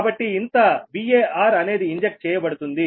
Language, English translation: Telugu, so this much var is injected